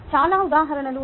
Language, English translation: Telugu, there are very many examples